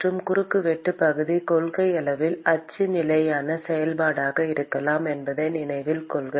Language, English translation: Tamil, And note that the cross sectional area could in principle be a function of the axial position